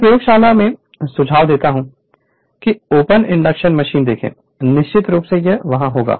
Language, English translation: Hindi, I suggest in your laboratory see the open induction machine, definitely it will be there right